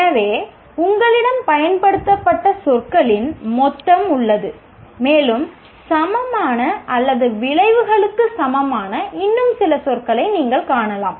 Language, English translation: Tamil, So you have a whole bunch of words that are used and you can find maybe some more words as which are equal and equal and equivalent are the same as outcomes